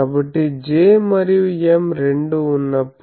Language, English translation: Telugu, So, when both J is present and M is present